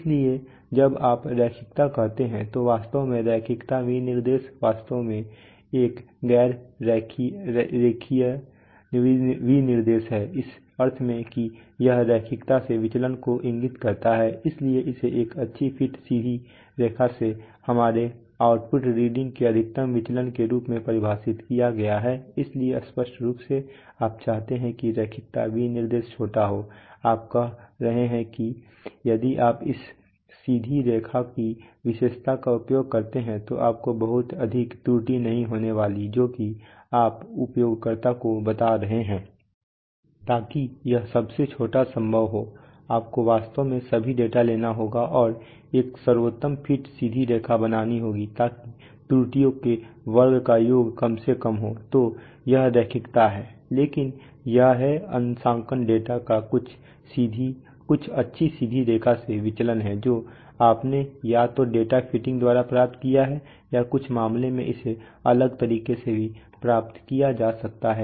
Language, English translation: Hindi, So that is why when you say linearity actually the linearity specification is actually a nonlinearity specification in the sense that it indicates deviation from linearity, so it is defined as a maximum deviation of our output reading from a good fit straight line so obviously you want that so obviously you want that the straight line that the linearity specification is small, so that you are telling that if you use that straight line characteristic you are not going to have much error that is what you are telling to the user